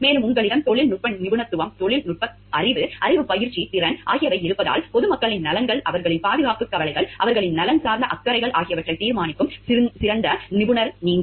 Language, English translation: Tamil, And, it because you have the technical expertise, techno technical knowhow knowledge practice, skill competence and it is you are the best expert to decide on what is in the best interest of the public at large, their safety concerns, their welfare concerns, health issues